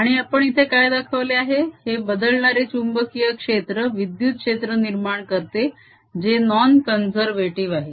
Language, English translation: Marathi, then, therefore, this changing magnetic field produces an electric field that is non conservative